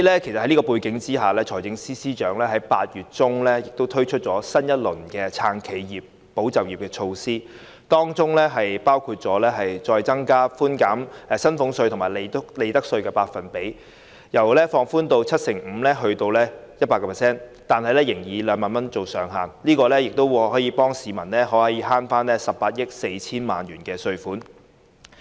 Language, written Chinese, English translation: Cantonese, 在這種背景下，財政司司長於8月中推出新一輪"撐企業、保就業"的措施，當中包括提高寬減薪俸稅及利得稅的百分比，由寬免 75% 提高至 100%， 但仍以2萬元作為上限，此舉可以幫助市民節省18億 4,000 萬元稅款。, Against this background the Financial Secretary introduced a new round of measures to support enterprises and safeguard jobs in mid - August . One of the measures is to increase the percentage rate of concessions on salaries tax and profits tax from 75 % to 100 % while retaining the ceiling of 20,000 per case . This will help members of the public to benefit from a saving of 1.84 billion in tax payment